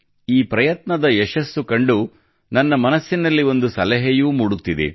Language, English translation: Kannada, Looking at the success of this effort, a suggestion is also coming to my mind